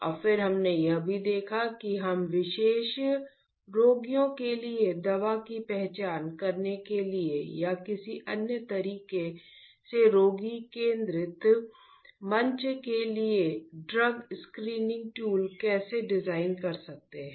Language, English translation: Hindi, And, then we also looked at how we can design a drug screening tool to identify a drug for particular patients or in another way a patient centric platform